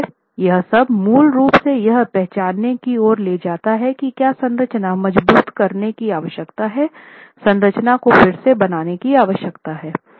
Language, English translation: Hindi, So, of course, all this basically leads to identifying whether there is a need to strengthen the structure, need to retrofit the structure